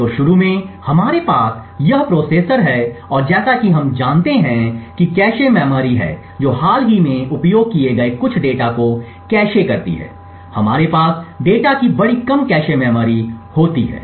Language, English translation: Hindi, So initially we have this processor and as we know that there is a cache memory which caches some of the recently used data and then we have the large lower cache memory of the data